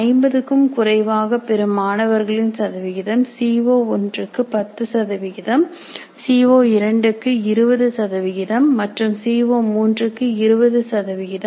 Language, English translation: Tamil, For example percentage of students getting less than 50, that target is 10% for CO1, but it is 20 for CO2 and 20 for CO3 and 10 for CO4, 20 for CO5 and 20 for CO6